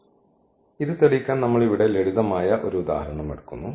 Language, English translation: Malayalam, So, just to demonstrate this we have taken the simple example here